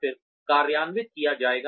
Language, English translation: Hindi, And then, implemented